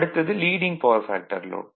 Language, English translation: Tamil, So, next is Leading Power Factor Load right